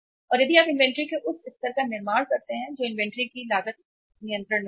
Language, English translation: Hindi, And if you build up that much level of inventory, cost of inventory will be at control